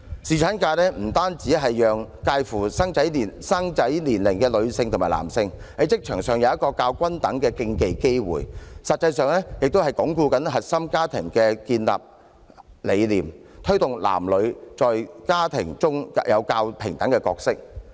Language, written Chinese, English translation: Cantonese, 侍產假不單讓介乎於生育年齡的女性和男性，可以在職場上有一個較均等的機會比併，實際上，也可以鞏固核心家庭的建立理念，推動男女在家庭中有較平等的角色。, Paternity leave also enables women and men of reproductive age to compete on a level playing field in the workplace . Indeed it further helps consolidate the notion about building a nuclear family and promote more equal roles between men and women in the family